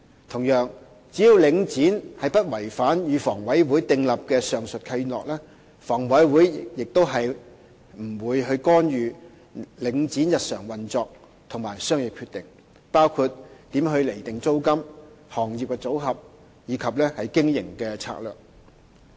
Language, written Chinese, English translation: Cantonese, 同樣，只要領展不違反與房委會訂立的上述契諾，房委會不會干預領展的日常運作和商業決定，包括租金釐定、行業組合及經營策略等。, Likewise as long as Link REIT does not violate the aforementioned Deeds with HA HA will not intervene in its daily operation and business decisions including its rent determination trade mix and business strategy